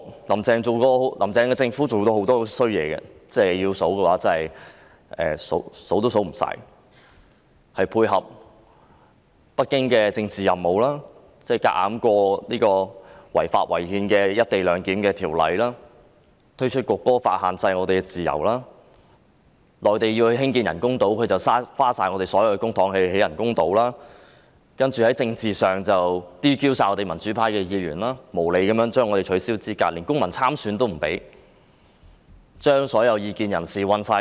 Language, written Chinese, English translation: Cantonese, "林鄭"政府過往所做的壞事多不勝數，例如配合北京的政治任務，強行通過違法違憲的《廣深港高鐵條例草案》、推出《中華人民共和國國歌法》限制市民自由、耗盡我們的公帑興建內地屬意的人工島，而在政治上則 "DQ" 多名民主派議員，無理取消他們的資格，連公民參選權亦遭剝奪，又將所有異見人士判監。, The evil deeds done by the Carrie LAM Administration in the past are too numerous to enumerate . For example complementing the political mission from Beijing she forced through the Guangzhou - Shenzhen - Hong Kong Express Rail Link Co - location Bill which was unlawful and unconstitutional; introduced the National Anthem Law of the Peoples Republic of China restricting peoples freedom; and exhausted our public coffers to build artificial islands preferred by the Mainland . On the political front she disqualified various Members of the pro - democracy camp unreasonably